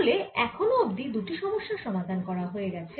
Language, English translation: Bengali, so just now two problems have been solved